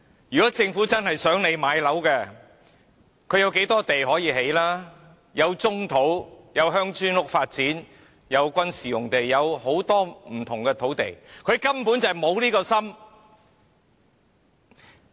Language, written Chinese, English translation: Cantonese, 如果政府真的希望市民能夠買樓，有很多土地可用來建屋：有棕土、鄉村式發展用地、軍事用地等很多不同的土地，政府根本沒有心。, If the Government truly hopes people can purchase properties there is plenty of land for housing construction brownfields village type development sites military sites etc . But the Government practically does not have such an intention